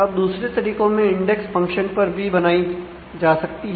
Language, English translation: Hindi, Now, other ways there are index that can be created on functions